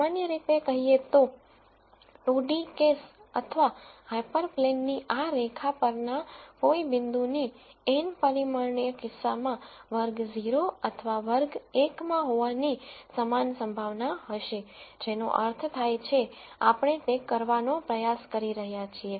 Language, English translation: Gujarati, That basically says that any point on this line in this 2 d case or hyperplane, in the n dimensional case will have an equal probability of belonging to either class 0 or class 1 which makes sense from what we are trying to do